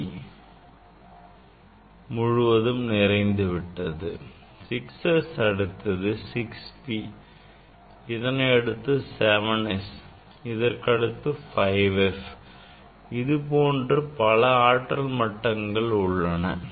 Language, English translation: Tamil, 6 s then 6 p and 6 p, then 7 s, then 7 s, then 5 f, then 5 f this kind of energy levels are there